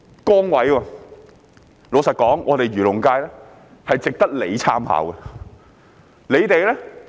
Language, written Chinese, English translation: Cantonese, 坦白說，漁農界是值得他參考的。, Frankly he should draw reference from the agriculture and fisheries sector